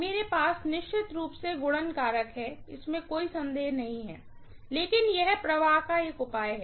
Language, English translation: Hindi, I do have definitely a multiplication factor, no doubt, but it is a measure of flux